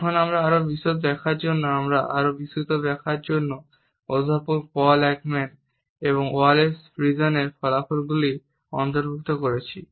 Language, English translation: Bengali, Now, for further elaboration I have included the findings of Professor Paul Ekman and Wallace Friesen for a more comprehensive explanation